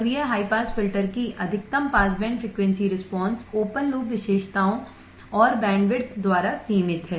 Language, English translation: Hindi, The maximum pass band frequency response of the active high pass filter is limited by open loop characteristics and bandwidth